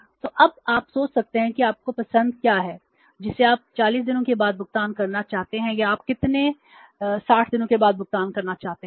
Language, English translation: Hindi, 72 so now you can think of what is your choice you want to pay after 40 days or you want to after, you want to pay after say how many 60 days